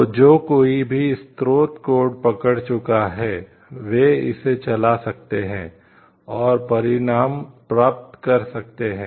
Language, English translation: Hindi, So, this thing like anyone who has got hold of the source code they can run it and like get outcome